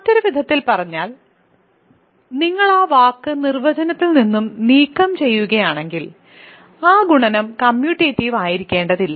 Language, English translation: Malayalam, So, in other words if you just remove that word from the definition, that multiplication need not be commutative